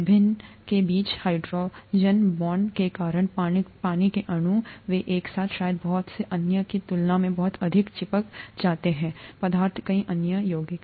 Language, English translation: Hindi, Because of the hydrogen bonds between the various molecules of water they tend to stick together a lot more than probably many other substances, many other compounds